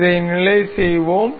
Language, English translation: Tamil, We will fix this